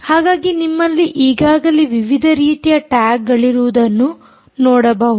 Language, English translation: Kannada, so you see already you have different types of tags and how do you choose them